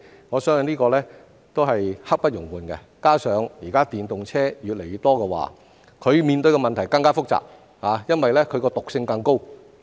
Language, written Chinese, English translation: Cantonese, 我相信這也是刻不容緩的，加上現時電動車越來越多，面對的問題更加複雜，因為它的毒性更高。, I believe this brooks no delay either . In addition the increasing number of electric vehicles EVs nowadays has made the problem even more complicated because of their higher toxicity